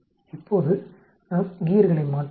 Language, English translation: Tamil, Now, let us change gears